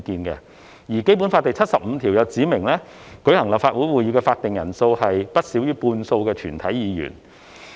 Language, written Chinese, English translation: Cantonese, 而《基本法》第七十五條指明，舉行立法會會議的法定人數為不少於全體議員的半數。, Meanwhile Article 75 of the Basic Law stipulates that the quorum for the meeting of the Legislative Council shall be not less than one half of all its members